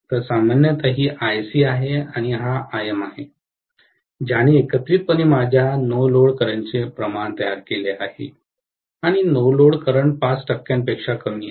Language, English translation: Marathi, So, normally this is Ic and this is Im, which put together actually make up for my no load current and the no load current is less than 5 percent